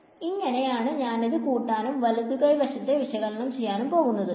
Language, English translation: Malayalam, And this is how I am going to sum up this do the evaluate the right hand side over here